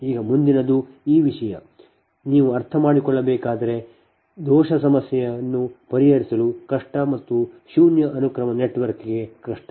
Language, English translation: Kannada, now next one is this thing, this thing you have to understand, otherwise difficult to solve, fault problem and difficult for the zero sequence network